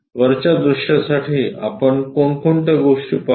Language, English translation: Marathi, For top view what are the things we will see